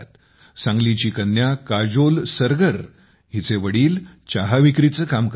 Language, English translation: Marathi, Sangli's daughter Kajol Sargar's father works as a tea vendor